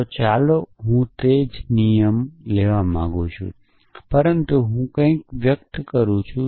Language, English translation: Gujarati, So, let me take the same rules, but I want to express something like this